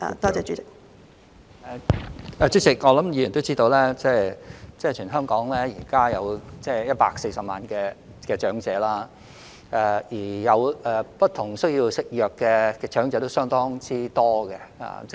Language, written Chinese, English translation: Cantonese, 主席，我想議員也知道，現時全港有140萬名長者，而有不同服藥需要的長者為數相當多。, President I think Members also know that there are 1.4 million elderly people in Hong Kong and a lot of them have to take different medications